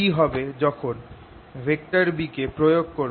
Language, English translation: Bengali, now what will happen when i apply b